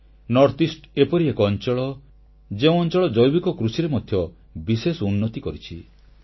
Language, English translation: Odia, North east is one region that has made grand progress in organic farming